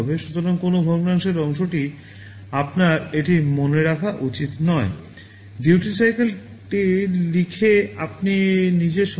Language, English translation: Bengali, So, no fractional parts are allowed you should remember this